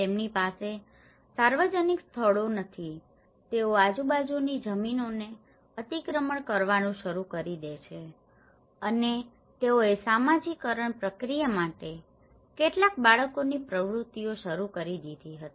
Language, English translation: Gujarati, And they donÃt have public places lets they started encroaching the neighbourhood lands and they started conducting some children activities for socialization process